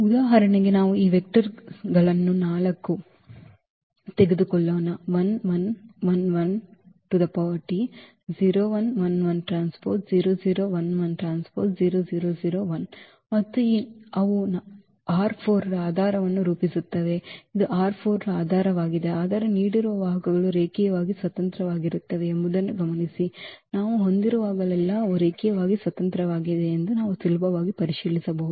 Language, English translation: Kannada, So, for instance we take this example of 4 vectors and they forms the basis of R 4 the set this forms a basis of R 4, while note that the give vectors are linearly independent that we can easily check they are linearly independent whenever we have such a special structure